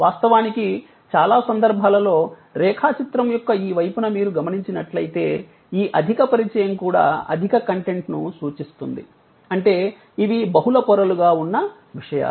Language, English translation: Telugu, Of course, usually in many of these instances which you see on this side of the diagram, the high side of the diagram, the high contact may also denote high content; that means multi layered content